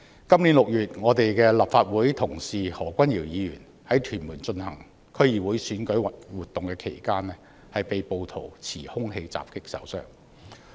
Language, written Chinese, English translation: Cantonese, 本月6日，立法會同事何君堯議員在屯門進行區議會選舉活動期間，被暴徒持兇器襲擊受傷。, On the 6 of this month our Honourable colleague Mr Junius HO was attacked and injured by an armed assailant during a DC election campaign in Tuen Mun